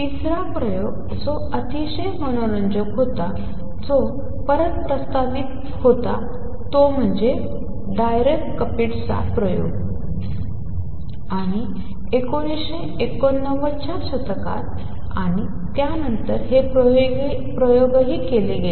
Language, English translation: Marathi, Third experiment which was very interesting which was propose way back is Dirac Kapitsa experiment and in 1990s and after that these experiments have also been performed